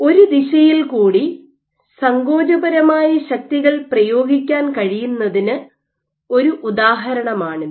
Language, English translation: Malayalam, So, this is an example in which you can exert contractile forces along one direction